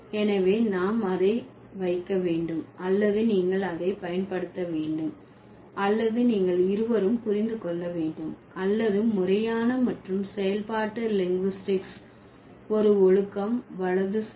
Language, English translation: Tamil, So, we have to put it or you have to use it or you have to understand it both or by an inclusive approach of formal and functional linguistics as a discipline, right